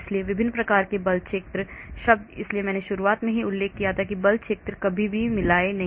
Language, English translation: Hindi, so different types of force field terms so that is why in the beginning I mentioned that never mix and match force field